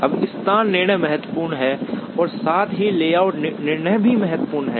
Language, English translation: Hindi, Now, location decisions are important as well as the layout decisions are